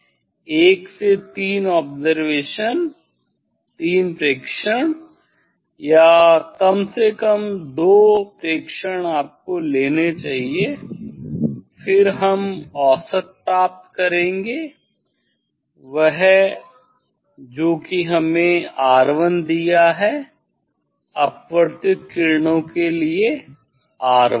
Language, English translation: Hindi, We will take observation ok, 1 to 3 observation, 3 observation or at least 2 observation you should take, then we find out mean that is we have given R 1 for refracted rays R 1